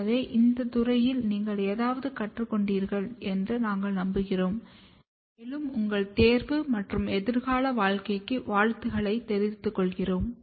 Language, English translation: Tamil, So, we hope that you have learnt something in this field and we wish you all the very best for your examination and future career